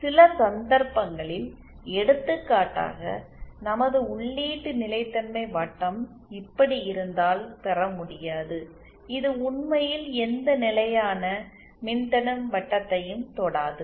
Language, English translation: Tamil, In some cases it may not be possible to obtain for example if our input stability circle be like this, it does not really touch any constant resistance circle